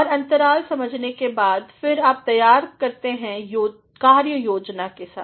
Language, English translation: Hindi, And, having understood the gaps, then you are ready with the work plan